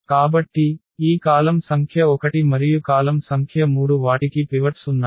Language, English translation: Telugu, So, this column number 1 and the column number 3 they have the pivots